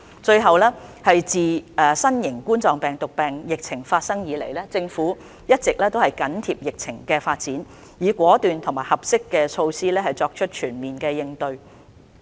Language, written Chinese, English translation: Cantonese, 自新型冠狀病毒病疫情開始以來，政府一直緊貼疫情的發展，以果斷及合適的措施作全面應對。, Since the outbreak of COVID - 19 the Government has been closely monitoring the development of the epidemic situation and adopting bold and appropriate measures to cope with it in a comprehensive manner